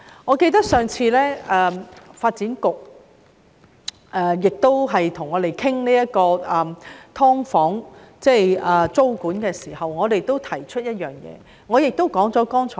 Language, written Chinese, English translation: Cantonese, 我記得當發展局上次與我們討論"劏房"的租管問題時，我亦提出了剛才所說的憂慮。, I remember that when the Development Bureau discussed the issue of tenancy control for subdivided units the last time I expressed the aforementioned worries